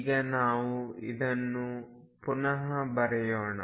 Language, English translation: Kannada, So, let us now write again